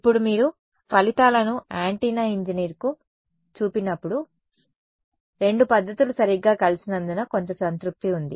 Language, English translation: Telugu, Now, when you show these results to an antenna engineer, there is some satisfaction because both methods have converged right